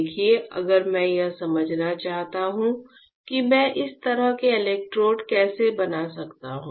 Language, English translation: Hindi, See, if I want to understand how can I fabricate such kind of electrodes